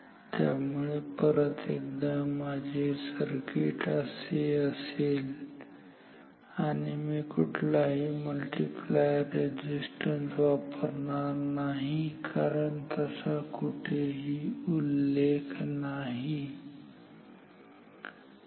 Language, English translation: Marathi, So, once again my circuit is like this and I am not using any multiplier resistance as since it is not mentioned ok